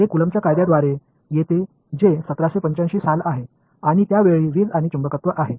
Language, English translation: Marathi, It comes from Coulomb’s law which is 1785 and at that time electricity and magnetism